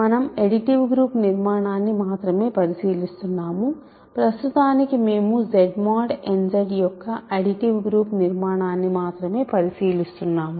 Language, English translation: Telugu, We are only considering the additive group structure, for now we are only considering the additive group structure of Z mod n Z ok